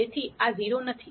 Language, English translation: Gujarati, So, this is not 0